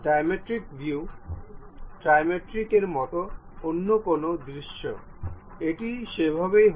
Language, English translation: Bengali, Any other view like diametric view, trimetric view, it will be in that way